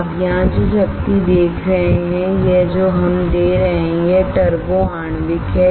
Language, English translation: Hindi, What you see here the amount of power that we are giving this is turbo molecular